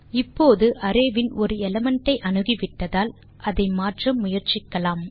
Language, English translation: Tamil, Now, that we have accessed one element of the array,let us change it